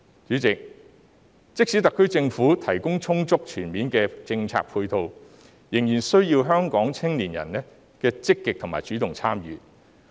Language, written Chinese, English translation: Cantonese, 主席，即使特區政府提供充足全面的政策配套，仍然需要香港的青年人積極和主動參與。, President despite the adequate and comprehensive policy support offered by the SAR Government the positive and proactive participation of the young people of Hong Kong is still necessary